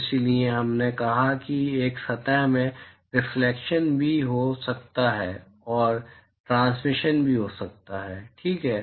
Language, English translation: Hindi, So, so, we said that in a surface there can also be reflection and there can also be transmission, right